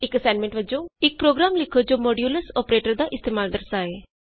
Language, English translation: Punjabi, As an assignment: Write a program to demonstrate the use of modulus operator